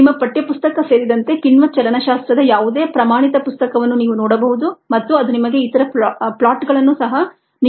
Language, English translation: Kannada, ah, you can look at any standard book on enzyme kinetics, including your text book, and that will give you the other plots also